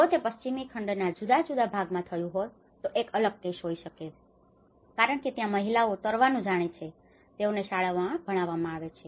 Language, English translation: Gujarati, It may be a different case if it has affected in a different part of the Western continent because the women they know how to swim; they are taught in the school